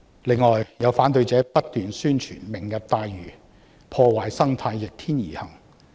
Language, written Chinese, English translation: Cantonese, 此外，有反對者不斷宣傳"明日大嶼願景""破壞生態"、"逆天而行"。, Moreover some opponents have continually promoted the message that the Lantau Tomorrow Vision destroys the ecological environment and is an perverse act